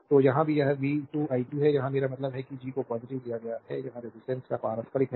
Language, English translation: Hindi, So, the here also it is v square i square, here I mean G is taken positive it is reciprocal of resistance